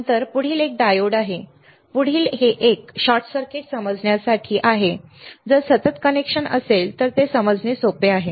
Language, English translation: Marathi, Then next one is diode, next one is for understanding this short circuit is easy to understand if the if there is a continuous connection